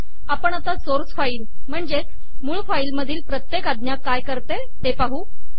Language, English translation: Marathi, Let us go through the source file and see what each command does